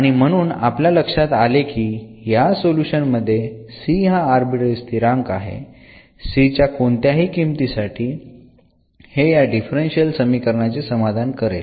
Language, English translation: Marathi, And therefore, this is a solution also this contains one this arbitrary constant this c for any value of c this will satisfy the differential equation which we have observed